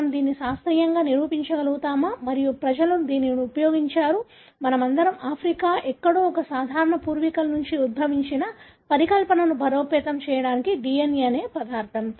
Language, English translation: Telugu, Can we scientifically prove this and people have used this to, DNA material to strengthen the hypothesis that all of us have evolved from a common ancestor somewhere in Africa